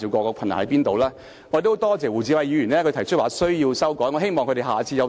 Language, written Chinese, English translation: Cantonese, 我十分多謝胡志偉議員提出有修改的必要。, I am grateful to Mr WU Chi - wai for suggesting the need to amend the Basic Law